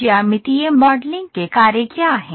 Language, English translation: Hindi, what are the functions of geometric modelling